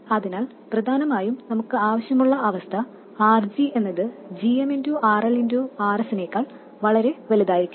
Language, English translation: Malayalam, So essentially what you need is for RG to be much greater than GMRL RS